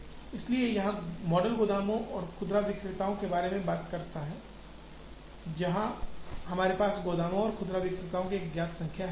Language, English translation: Hindi, So, this model talks about warehouses and retailers, where we have a known number of warehouses and retailers